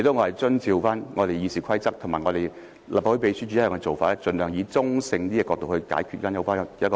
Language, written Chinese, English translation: Cantonese, 我只是按照《議事規則》和立法會秘書處的一貫做法，盡量從比較中性的角度發表有關報告。, This would deviate from our usual practice . In preparing the report I sought to take on a neutral point of view as far as possible according to the usual practice of the Rules of Procedure and the Legislative Council Secretariat